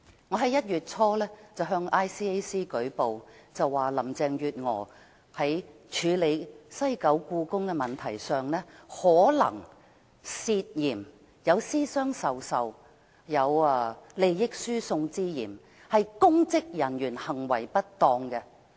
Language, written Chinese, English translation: Cantonese, 我在1月初向 ICAC 舉報，說林鄭月娥在處理西九故宮一事上可能有私相授受和利益輸送之嫌，屬公職人員行為失當。, In early January I lodged a complaint with the Independent Commission Against Corruption ICAC . I pointed out that Carrie LAM might be involved in some kind of under - the - table transfer of benefits when dealing with the WKCD project which is an offence of misconduct in public office